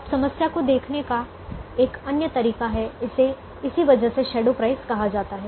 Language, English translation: Hindi, now another way of looking at the problem: it's called shadow price because of this